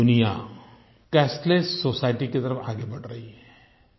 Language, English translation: Hindi, The whole world is moving towards a cashless society